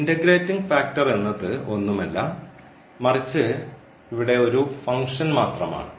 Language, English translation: Malayalam, So, coming to the conclusion the integrating factor is nothing, but a function here